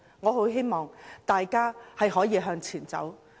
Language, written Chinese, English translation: Cantonese, 我希望大家能夠向前走。, I hope Hong Kong can really move forward